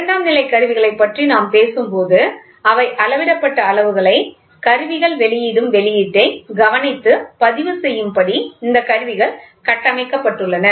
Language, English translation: Tamil, When we talk about secondary instruments, these instruments are so constructed that the quantities being measured can only be recorded by observing the output indicating by the instrument